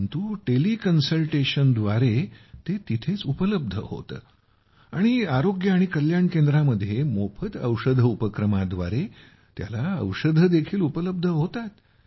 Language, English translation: Marathi, But through Tele Consultation, it is available there and medicine is also available through Free Drugs initiative in the Health & Wellness Center